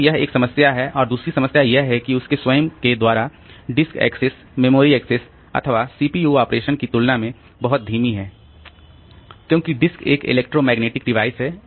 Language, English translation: Hindi, And the second problem is that disk access by itself is much slower than the memory access or the CPU operation because disk is a electromechanical device